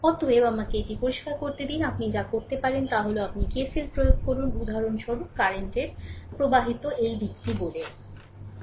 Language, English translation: Bengali, Therefore, let me let me clear it therefore, what you can do is you apply KCL for example, current flowing through this say in this direction